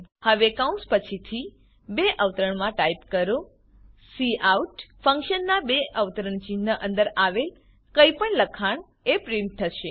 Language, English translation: Gujarati, Now after the brackets, type within double quotes Anything within the double quotes in the cout functions will be printed